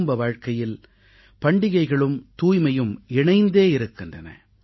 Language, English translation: Tamil, In individual households, festivals and cleanliness are linked together